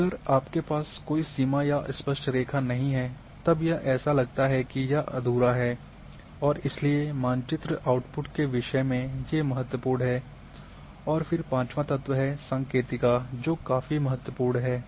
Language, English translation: Hindi, If you do not have any border or neat line then it looks that it is in complete kind of things that is another important thing one should have along your map outputs and then the fifth one is the legend, this is very important